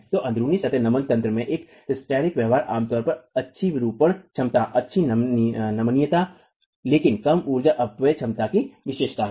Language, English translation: Hindi, So, hysteretic behavior in a in plain flexible mechanism is typically characterized by good deformation capacity, good ductility, but low energy dissipation capacity